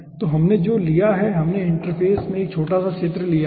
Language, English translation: Hindi, so what we have taken, we have taken a small sector across the interface